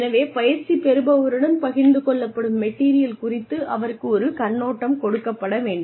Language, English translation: Tamil, So in order to give that, an overview should be given to the trainee, regarding the material, that is being shared with the trainee